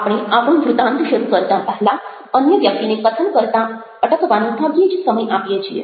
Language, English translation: Gujarati, we hardly give the other person enough time to stop speaking before we start off with our story